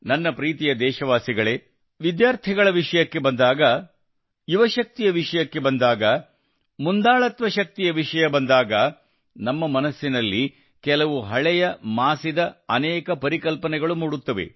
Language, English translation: Kannada, My dear countrymen, when it comes to students, youth power, leadership power, so many outdated stereotypes have become ingrained in our mind